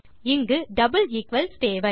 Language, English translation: Tamil, We need double equals in there